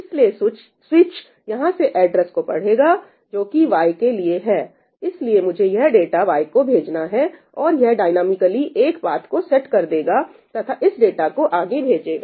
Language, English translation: Hindi, So, the switch will read that address from here that this is meant for Y, so, I am supposed to send it to Y, and it will dynamically set up a path and forward this data